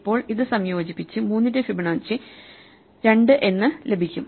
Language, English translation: Malayalam, Now, 2 plus 1 is 3, so we have Fibonacci of 4